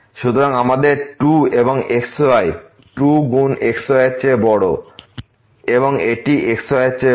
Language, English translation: Bengali, So, we have the 2 and the is greater than this 2 times the and this is greater than the